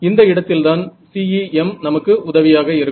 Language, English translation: Tamil, So, this is where CEM comes to our rescue